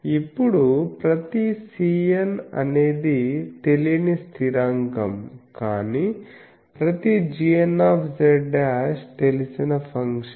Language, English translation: Telugu, Now each c n is an unknown constant, but each g n z dashed is a known function